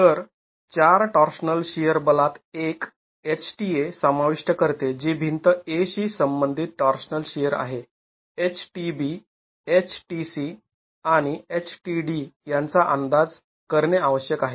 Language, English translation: Marathi, So, the four torsional shear forces in wall A, HTA, which is a torsional shear corresponding to wall A, HTB, HTC and HTD now need to be estimated